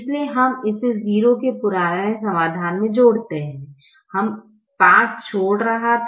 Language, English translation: Hindi, so we add that to the old solution of zero